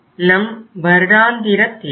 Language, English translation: Tamil, This is the annual demand